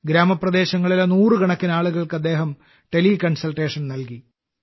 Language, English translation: Malayalam, He has provided teleconsultation to hundreds of people in rural areas